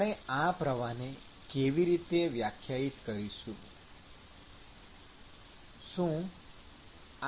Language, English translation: Gujarati, So, how can we define this flux